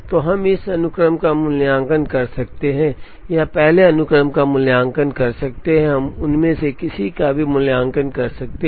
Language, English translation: Hindi, So, we can evaluate this sequence or we can evaluate this sequence, we can evaluate either of them